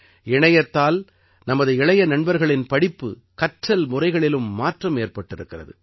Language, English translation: Tamil, The internet has changed the way our young friends study and learn